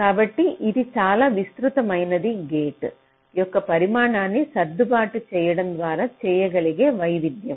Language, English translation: Telugu, so it is quite a wide variation that i can make by adjusting the size of the gate